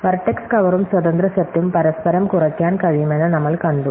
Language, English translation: Malayalam, We have seen that vertex cover and independent set can be reduced to each other